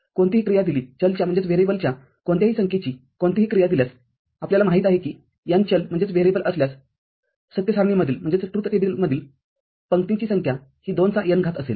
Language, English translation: Marathi, Given any function; given any function of any number of variables you know that the number of rows in the truth table will be 2 to the power n if n variables are there